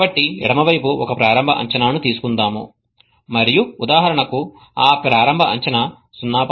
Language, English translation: Telugu, So let us take an initial guess to the left and that initial guess for example is 0